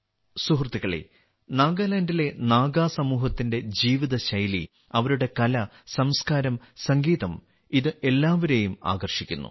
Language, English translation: Malayalam, Friends, the lifestyle of the Naga community in Nagaland, their artculture and music attracts everyone